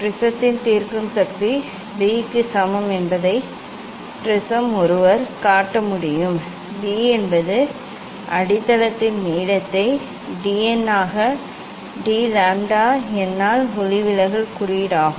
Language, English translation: Tamil, Prism one can show that resolving power of the prism is equal to b, b is the length of the base into d n by d lambda n is the refractive index